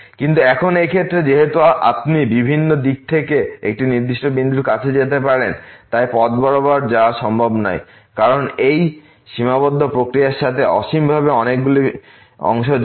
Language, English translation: Bengali, But now, in this case since you can approach to a particular point from the several direction, it is not possible to get as the along some path because there are infinitely many parts involved in this limiting process